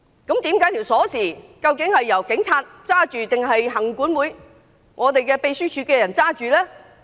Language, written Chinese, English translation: Cantonese, 究竟大樓門匙是在警察手上，還是行管會或秘書處員工手上？, Were the keys of the Complex kept in the hands of the Police LCC or staff of the Secretariat?